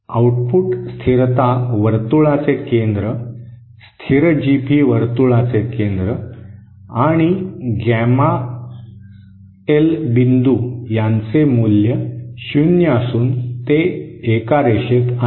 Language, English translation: Marathi, The centre of the output stability circle, the centre of the constant GP circle and the point gamma L are equal to 0 are collinear